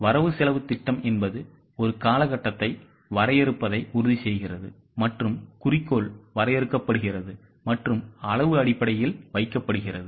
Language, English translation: Tamil, What budget ensures is a period is defined and the goal is defined and is put down in the quantitative terms